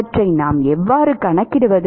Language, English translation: Tamil, how do we quantify them